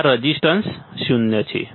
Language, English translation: Gujarati, So, there is a zero resistance right